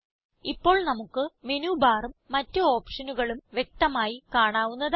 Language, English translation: Malayalam, * Now, we can view the Menu bar and the options clearly